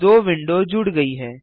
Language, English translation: Hindi, The two windows are merged